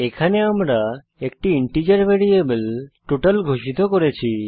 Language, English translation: Bengali, Here we have declared an integer variable total